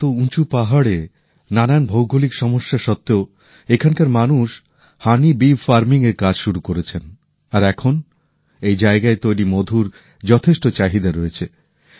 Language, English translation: Bengali, There are steep mountains, geographical problems, and yet, people here started the work of honey bee farming, and today, there is a sizeable demand for honey harvested at this place